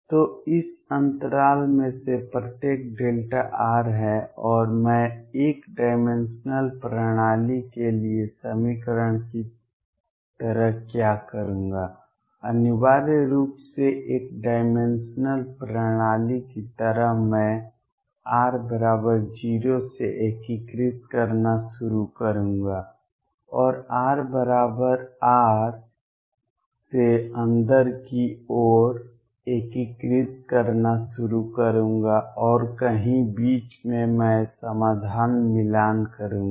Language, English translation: Hindi, So, each of this interval is delta r and what I will do like the equation for one dimensional systems essentially a one dimensional like system, I will start integrating from r equals 0 onwards start integrating from r equals R inwards and somewhere in between I will match the solution